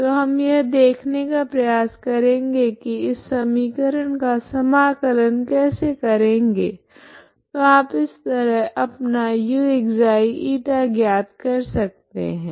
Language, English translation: Hindi, So we will try to see how to find how to integrate this equation so that you can find your uξ η